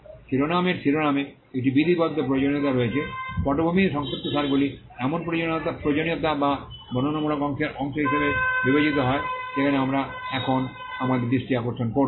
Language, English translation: Bengali, The title there is a statutory requirement up on the title, background and summary are requirements which are regarded as a part of the descriptive part to which we will now turn our attention